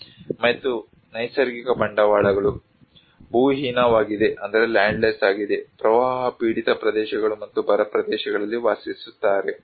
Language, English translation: Kannada, And natural capitals: is landless, live on flood prone areas and drought areas